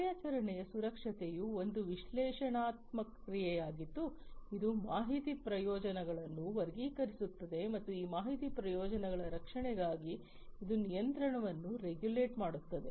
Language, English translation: Kannada, Operation security is an analytical action, which categorizes the information benefits and for protection of these information benefits, it regulates the control